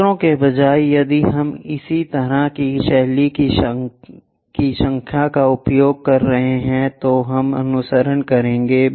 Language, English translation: Hindi, Instead of letters if we are using numbers similar kind of style we will follow